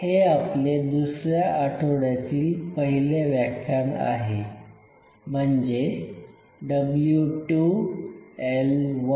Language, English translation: Marathi, So, we are into week 2, lecture 1; W 2, L 1